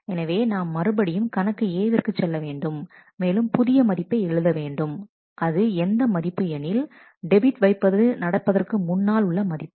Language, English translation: Tamil, So, we have to again go back to account A and write a new value which was the earlier value the value before the debit had happened